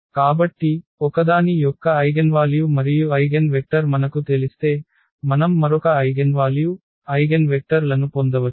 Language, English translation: Telugu, So, meaning if we know the eigenvalues and eigenvector of one, we can get the eigenvalues, eigenvectors of the other